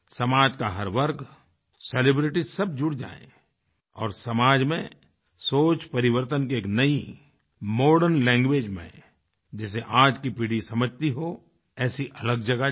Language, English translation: Hindi, Every section of the society including celebrities joined in to ignite a process of transformation in a new modern language of change that the present generation understands and follows